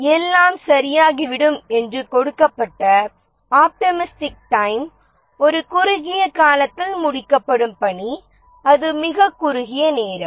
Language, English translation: Tamil, The optimistic time that is given that everything goes all right the task will get completed in time A